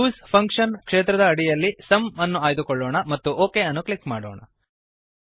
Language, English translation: Kannada, Under the Use function field ,lets choose Sum and click OK